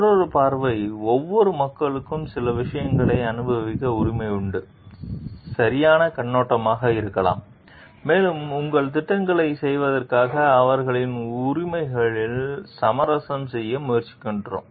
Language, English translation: Tamil, Another perspective could be the right perspective every people have the right to enjoy certain things and whether, we are trying to compromise on their rights in order to get your projects done